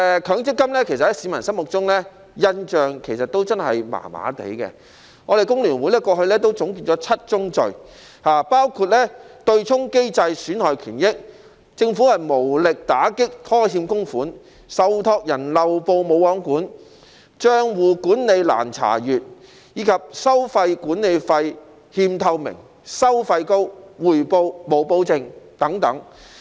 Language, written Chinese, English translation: Cantonese, 強積金其實在市民心中的印象真的很一般，工聯會過去總結了"七宗罪"：對沖機制損害權益、政府無力打擊拖欠供款、受託人漏報"無皇管"、帳戶管理難查閱、收取管理費欠透明、收費高，以及回報無保證。, FTU has summed up the seven sins of MPF the offsetting mechanism undermining rights and interests the Governments inability to combat default on contributions the absence of regulation on the trustees omission of reporting the difficulty in accessing account management the lack of transparency in management fees the high fees and the lack of guarantee of returns